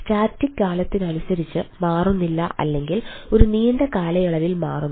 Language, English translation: Malayalam, like static, we does not change with time or changes over a long period of time